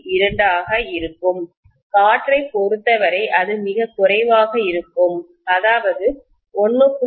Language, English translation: Tamil, 2, for air it will be much less than that, maybe 1